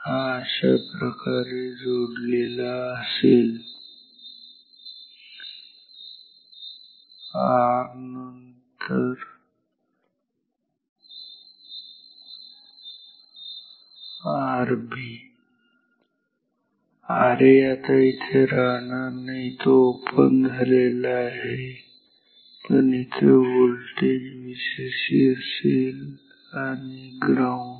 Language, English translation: Marathi, It is connected like this get this R a then R b R b, R a this is no longer there it is open, but here I have the voltage V cc and ground this will start to charge ok